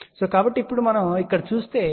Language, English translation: Telugu, So, now if we look at this here so this impedance is again Z